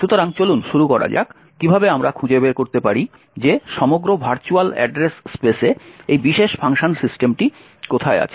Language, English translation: Bengali, So, let us start with how we find out where in the entire virtual address space is this particular function system present